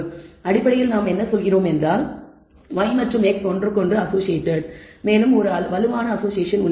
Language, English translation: Tamil, So, basically we are saying y and x are associated with each other also there is a strong association